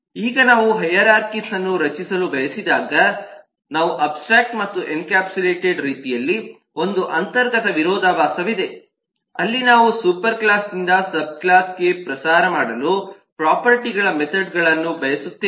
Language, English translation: Kannada, now, so there is an inherent contradiction in terms of the way we have abstract and encapsulated when we want to create hierarchies, where we want properties, methods to propagate from a superclass to the subclass